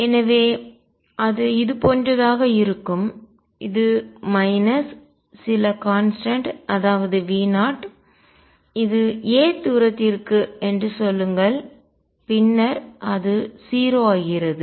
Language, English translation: Tamil, So, that would be something like this it is minus say some constant V 0 up to a distance a and then it becomes 0